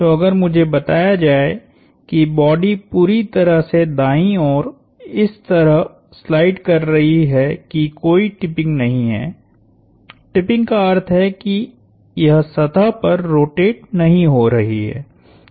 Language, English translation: Hindi, So, if I am told that the body is purely sliding to the right that there is no tipping, tipping meaning it is not rotating on the surface